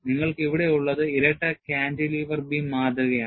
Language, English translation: Malayalam, And what you have here, is a double cantilever beam specimen